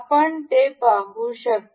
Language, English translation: Marathi, You can see